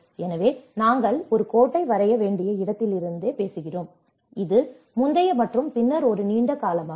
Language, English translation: Tamil, So, we are talking from that is where we draw a line, so this is more of pre and then during and then a long term